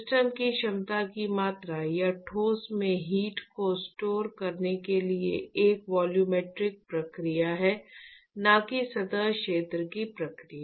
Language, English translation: Hindi, The amount of the capacity of the system or the solid to store heat is actually a volumetric process and not a surface area process